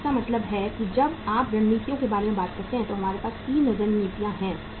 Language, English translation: Hindi, So it means when you talk about the strategies, we have 3 strategies